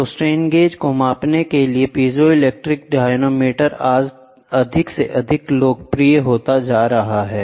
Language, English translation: Hindi, So, piezo crystal dynamometer for measuring strain gauges are becoming more and more popular today